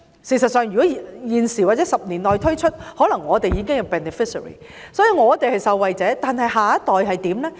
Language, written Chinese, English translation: Cantonese, 事實上，如果現在或10年內推出全民退休保障，我們可能也會成為受惠者，但下一代會怎樣？, As a matter of fact if we implement universal retirement protection now or within the next decade there is a possibility that we may become the beneficiaries . But how about our next generation?